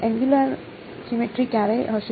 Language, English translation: Gujarati, When will there be angular symmetry